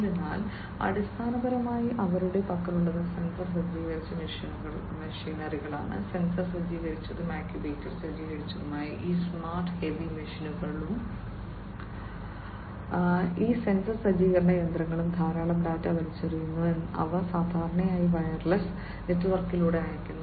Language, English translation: Malayalam, So, so, basically what they have is sensor equipped machinery, these smart you know heavy machinery that they have they, they are sensor equipped actuator equipped and so on these sensor equip machinery throw in lot of data which are sent through a network typically wireless network